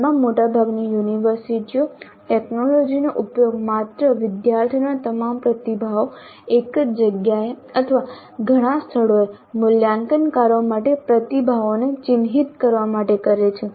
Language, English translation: Gujarati, At present, most of the universities are using technology only to gather all the student responses at a single place or at multiple places, multiple places for evaluators to mark the responses